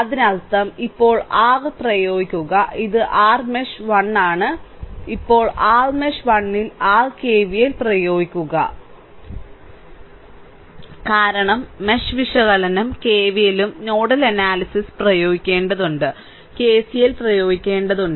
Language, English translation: Malayalam, So, let me clear it so; that means, now you apply your this is your mesh 1, now you apply your KVL in your mesh 1 because mesh analysis, we have to apply KVL and nodel analysis, we have to we are applying KCL, right